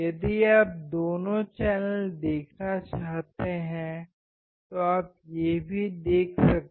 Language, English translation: Hindi, So, if you want to see both the channels you can see that as well